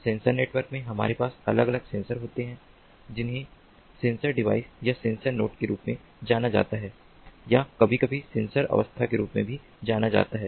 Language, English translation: Hindi, so in sensor networks, what we have in sensor networks, we have individual sensors which are embedded in something known as sensor devices or sensor nodes, or sometimes also known as sensor modes